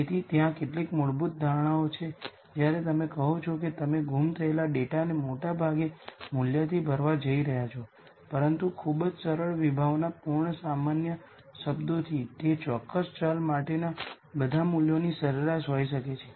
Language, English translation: Gujarati, So, there are some fundamental assumptions that you are making when you say that you are going to fill the missing data with most likely value, but from a very simple conceptual layman terms this could just be the average of all the values for that particular variable